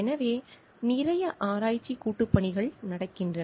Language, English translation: Tamil, So, there are lots of research collaboration going on